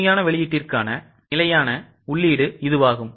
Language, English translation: Tamil, That is the standard input for actual output